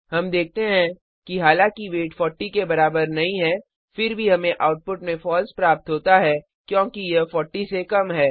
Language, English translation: Hindi, We see, that although the weight is not equal to 40 we get the output as True because it is less than 40